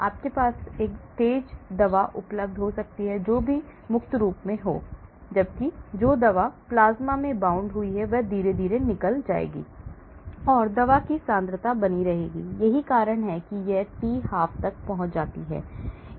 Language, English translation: Hindi, So, you may have a fast drug available whichever is in the free form whereas, the drug that is bound to plasma will get slowly released and the concentration of the drug will keep persisting that is why it prolongs to the t half